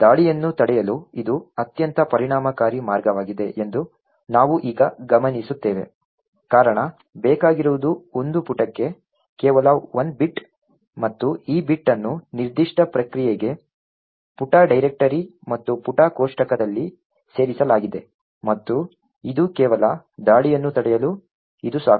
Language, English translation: Kannada, Now we would note that this is a very efficient way to prevent the attack, the reason is that all that is required is just 1 bit for a page and this bit incorporated in the page directory and page table for that particular process and it is just that single bit which is sufficient to actually prevent the attack